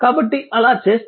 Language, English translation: Telugu, If you do so it will be 0